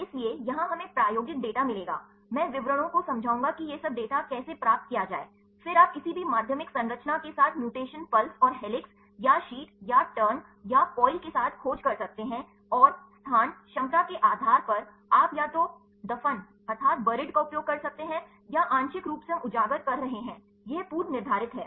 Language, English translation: Hindi, So, here we will get the experimental data, I will explain the details how to get this a all this data, then you can search with any secondary structure with the mutation pulse and helix, or sheet or turn or coil and also locations based on the accessibility, you can use either buried, or partially we are exposed these are predefined